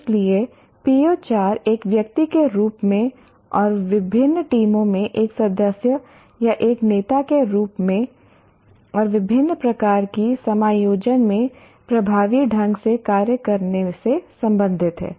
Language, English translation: Hindi, So the PO4 is related to function effectively as an individual and as a member or a leader in diverse teams and in a wide variety of settings